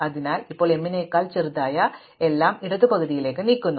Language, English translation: Malayalam, So, now we move everything which is smaller than m to the left half